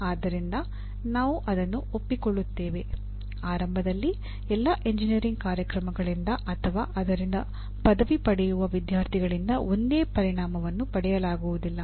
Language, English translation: Kannada, So we will accept that, initially every outcome may not be attained to the same level by all engineering programs or by the students who are graduating from that